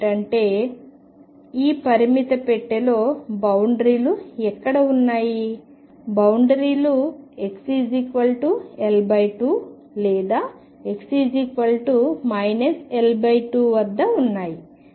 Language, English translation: Telugu, That means, in this finite box where are the boundaries; boundaries are at x equals L by 2 or x equals minus L by 2